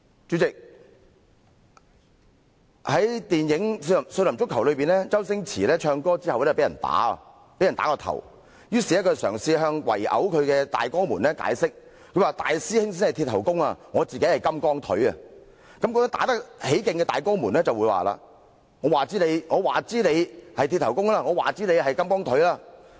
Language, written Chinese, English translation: Cantonese, 主席，在電影"少林足球"中，周星馳唱歌後被打頭，於是嘗試向圍毆他的大哥們解釋，大師兄才是"鐵頭功"，而他自己則是"金剛腿"。正打得起勁的大哥們卻說："我管你是'鐵頭功'還是'金剛腿'！, President in the film Shaolin Soccer Stephen CHOW is hit on the head after singing a song and so he tries to explain to the men assaulting him that the real Iron Head is his eldest Shaolin brother while he himself is Mighty Steel Leg but the men who are vigorously beating him reply We do not care if you are Iron Head or Mighty Steel Leg!